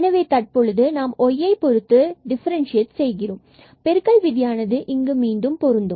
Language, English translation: Tamil, So, in now we will differentiate here with respect to y and again the product rule will be applicable